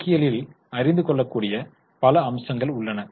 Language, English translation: Tamil, So, there are a number of aspects which can be studied in accounting